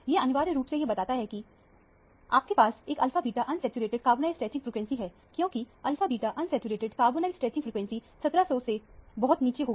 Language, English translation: Hindi, These essentially indicate that you have an alpha beta unsaturated carbonyl stretching frequency, because alpha beta unsaturated carbonyl stretching frequency will be much lower than 1700